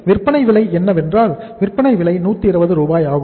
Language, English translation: Tamil, So we are selling the product at 120 Rs